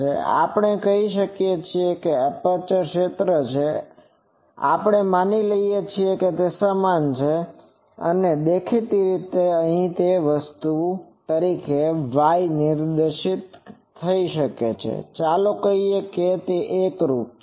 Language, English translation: Gujarati, So, we can say that the aperture field, we assume that it is uniform and obviously, here it will be y directed as the thing and let us say that it is uniform